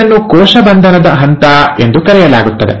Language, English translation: Kannada, This is also called as the phase of cell arrest